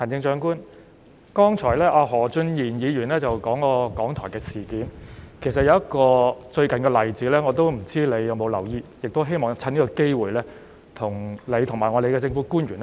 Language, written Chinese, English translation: Cantonese, 行政長官，剛才何俊賢議員提及香港電台的事件，其實最近亦有一個例子，不知道你有否留意，我亦希望藉此機會，向你和各位政府官員說說。, Chief Executive Mr Steven HO mentioned the incidents concerning Radio Television Hong Kong RTHK just now . In fact there is also a recent example I wonder if you have noticed it and I also hope to take this opportunity to share with you and the Government officials